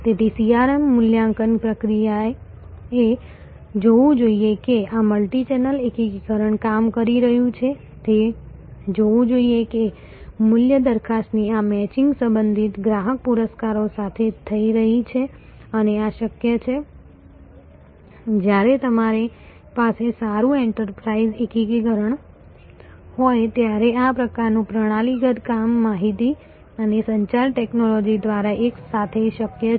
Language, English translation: Gujarati, So, the CRM assessment process should see that this multichannel integration is working it should see that this matching of the value proposition is happening with respective customer rewards and this is possible, this sort of systemic working together is possible when you have a good enterprise integration through information and communication technology